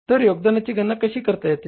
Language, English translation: Marathi, So how we calculate the contribution